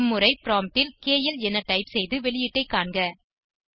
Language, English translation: Tamil, This time at the prompt type KL and see the output